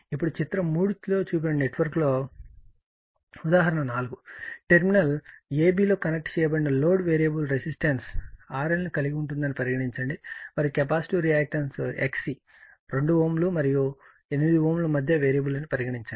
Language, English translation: Telugu, Now, example 4 in the network shown in figure 3; suppose the load connected across terminal A B consists of a variable resistance R L and a capacitive reactance X C I will show you which is a variable between 2 ohm, and 8 ohm